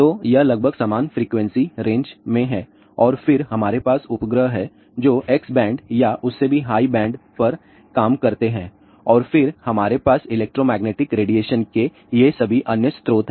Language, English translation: Hindi, So, these are almost in the similar frequency range and then we have satellites which work at x band or even higher band and then we have all these other ah sources of electromagnetic radiation